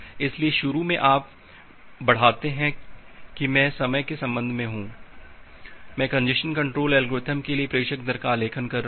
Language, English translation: Hindi, So, initially you increase that so I am I am here with respect to time, I am plotting the sender rate for congestion control algorithm